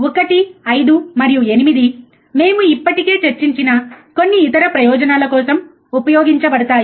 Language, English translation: Telugu, 1 5 and 8, that are used for some other purposes which we have already discussed